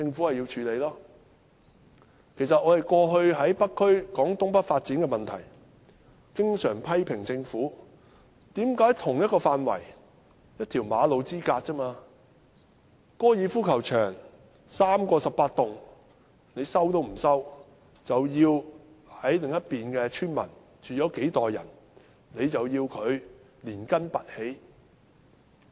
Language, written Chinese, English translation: Cantonese, 過去我們在北區討論東北發展的問題時，經常批評政府為何不收回3個18洞高爾夫球場，卻要收回在同一範圍內，只是一條馬路之隔，住了幾代村民的土地，要他們連根拔起。, During our past discussions about the North East New Territories development in the North District we often criticized the Government for not resuming the site of the three 18 - hole golf courses . Instead it resumed the land just across the road in the same area where generations of villagers had lived uprooting them from their homes